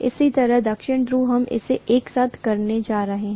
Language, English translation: Hindi, Similarly, South pole, we are going to lump it together